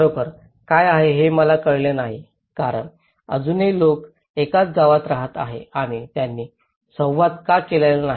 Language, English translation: Marathi, I didnÃt realize what was really because still, the people are living in the same village what did why they are not interactive